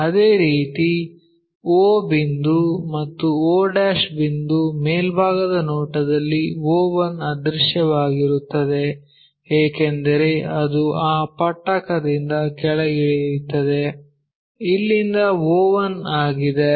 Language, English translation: Kannada, Similarly, o point and o' in the top view o one is invisible because it goes all the way down of that prism somewhere here o one